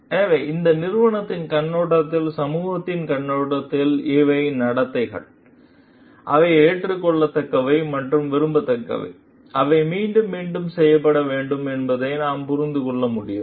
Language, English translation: Tamil, So, we can understand as for the perspective of this company, as for the perspective of the society, these are the behaviors, which are acceptable and desirable, and which needs to be repeated